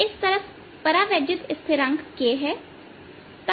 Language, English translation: Hindi, this side has dielectric constant k